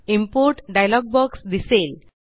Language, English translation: Marathi, The Import dialog box appears